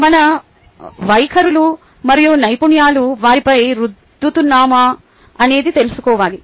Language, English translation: Telugu, is it that our attitudes and skills are rubbing off on them